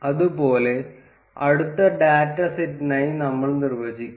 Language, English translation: Malayalam, Similarly, we would define for the next data set